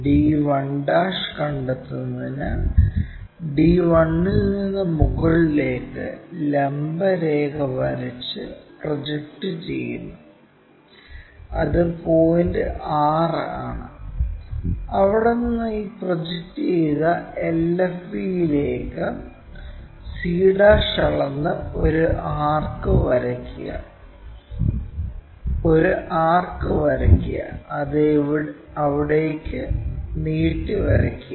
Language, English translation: Malayalam, Then from d 1 draw a vertical line all the way up to project it, which is point 6; and from there draw an arc by measuring c' to this projected line LFV, draw an arc, it can be extended all the way there